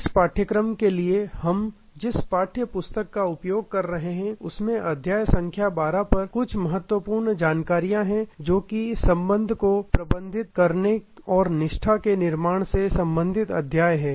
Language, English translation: Hindi, In the text book that we are using for this course there are some interesting insides at chapter number 12, which is the chapter relating to managing relationship and building loyalty